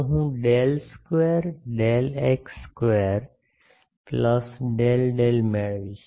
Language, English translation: Gujarati, So, I get del square del x square plus del del